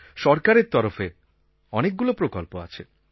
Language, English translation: Bengali, There are many efforts being made by the government